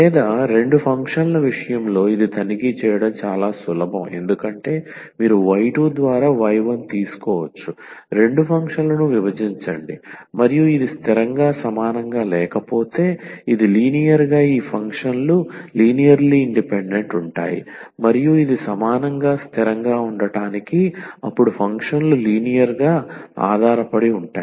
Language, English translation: Telugu, Or for the case of two functions this is very easy to check because you can take just y 1 by y 2 is divide the two functions and if this is not equal to constant then we call that this is linearly these functions are linearly independent and this is equal to constant then the functions are linearly dependent